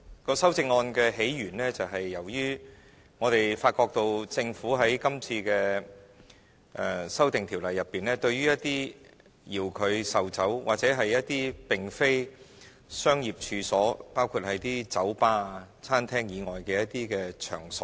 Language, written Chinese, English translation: Cantonese, 該修正案的起源是由於我們發覺政府在今次的《2017年應課稅品條例草案》中，沒有對一些遙距售酒或一些並非商業處所，包括酒吧、餐廳以外的一些場所規管。, In fact the amendments are proposed since we find that the Dutiable Commodities Amendment Bill 2017 the Bill this time around does not regulate remote sale of liquor or off - premise sales of alcohol where liquors are sold on premises other than bars and restaurants